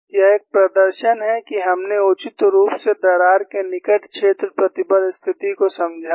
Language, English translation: Hindi, It is a demonstration, that we have reasonably understood the near field stress state of the crack